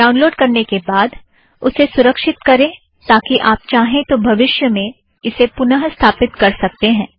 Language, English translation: Hindi, After downloading, save it for future use, as you may want to install it a few times